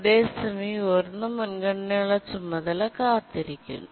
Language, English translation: Malayalam, But in the meanwhile, the high priority task is waiting